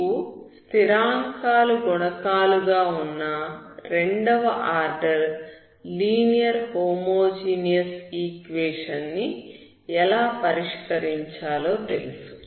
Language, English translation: Telugu, So what you know is how to solve second order linear homogeneous equation, with constant coefficients